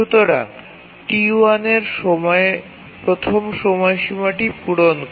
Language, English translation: Bengali, Therefore, T1 meets its first deadline